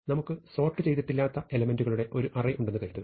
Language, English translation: Malayalam, So, supposing we have our old array of unsorted elements